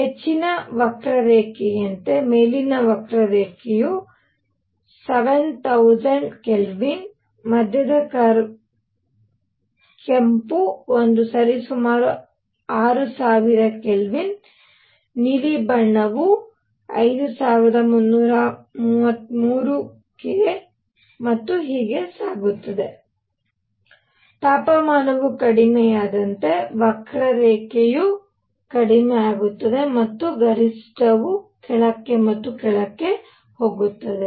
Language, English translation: Kannada, As the higher curve is the upper curve is at 7000 K; the middle curve red one is at roughly 6000 K; the blue one is at 5333 K and so on; as the temperature goes down the curve becomes lower and lower and the peak goes down and down